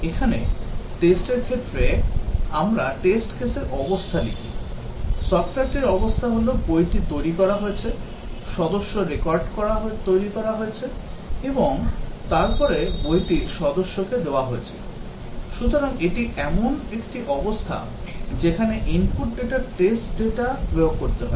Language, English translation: Bengali, Here, in the test case, we write the state of the test case; the state of the software is the book has been created, member record has been created and then after that the book has been issued to the member, so that is a state at which the input data the test data is to be applied